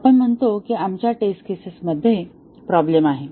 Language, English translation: Marathi, We say that there is problem with our test cases